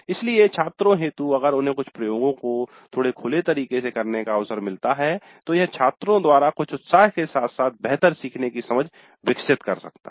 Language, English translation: Hindi, So the students if they get an opportunity to conduct some of the experiments in a slightly open ended fashion it may create certain excitement as well as better learning by the students